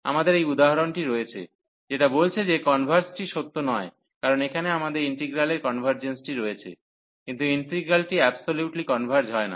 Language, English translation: Bengali, So, we have this example, which says that the converse is not true, because here we have the convergence of the integral, but the integral does not converge absolutely